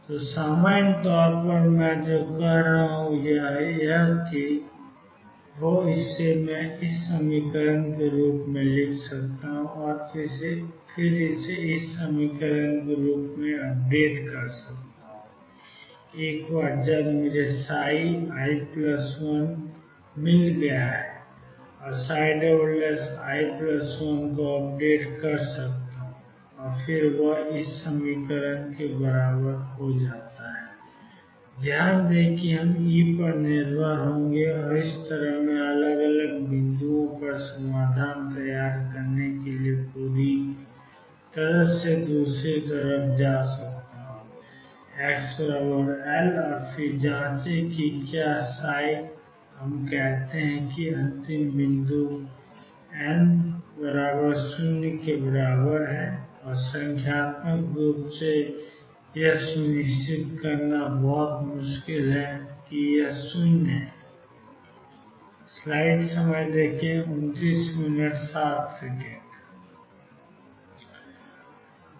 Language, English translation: Hindi, So, in general what I am doing is I am writing psi at i plus 1 th point to be equal to psi at i plus psi at i prime times delta x, I am updating psi prime at i plus 1 as psi i prime plus psi i double prime delta x and once I found psi at i plus I can update i psi double prime here plus 1 is equal to psi at i plus 1 times 2 V at x i plus 1 minus E notice that we will depend on E and this way I can go all the way building up the solution at different points all the way to the other side x equals L and then check if psi let us say the last point is n is equal to 0 and numerically it is very difficult to make sure is 0